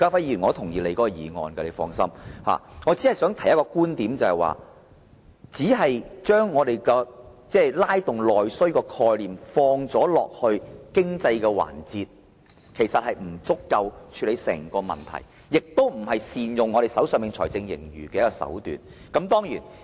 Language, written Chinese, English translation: Cantonese, 然而，我想提出一個觀點，就是單把"拉動內需"的概念套用在經濟上，其實不足以宏觀地處理整個問題，亦非善用財政盈餘的手段。, However I have to make one point . If the concept of stimulating internal demand is merely applied to economic development the issue as a whole will not be addressed from a macroscopic perspective . Besides this is not an approach to using the surplus properly